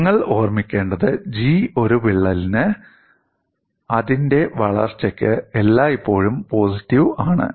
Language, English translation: Malayalam, What will have to keep in mind is G is always positive for a crack studied for its probable growth